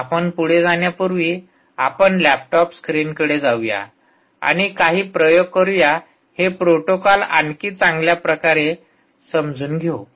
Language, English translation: Marathi, so now lets shift to the laptop screen and do a few experiments before we move on to understand this protocol even better as we go along